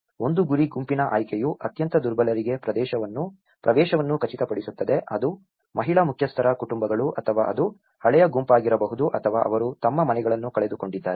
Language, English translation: Kannada, One is the target group selection to ensure access to the most vulnerable, whether it is the women headed families or it is a elderly group or if they have lost their houses